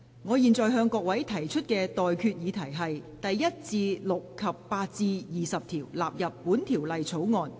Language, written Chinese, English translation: Cantonese, 我現在向各位提出的待決議題是：第1至6及8至20條納入本條例草案。, I now put the question to you and that is That clauses 1 to 6 and 8 to 20 stand part of the Bill